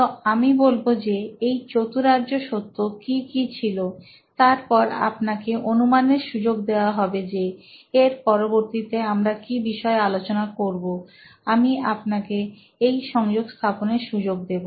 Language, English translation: Bengali, So, I am going to be telling you what those noble truths are, and then, I will let you guess what we are going to talk about next after that, I will let you do the connection